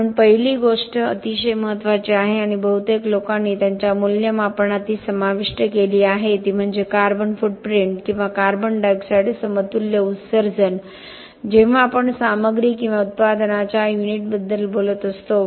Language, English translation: Marathi, So, the first thing very importantly and most people included it in their assessment is the carbon footprint or the CO2 equivalent emissions when we are talking about a unit of a material or a product